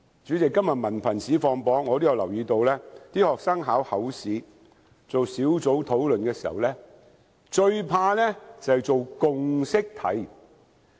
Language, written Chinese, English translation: Cantonese, 主席，今天文憑試放榜，我也留意到學生考口試做小組討論時，最怕便是做共識題。, President the results of the HKDSE Examination will be released today . I observed that the topic the students fear most during the group discussion section of the oral examination is consensus building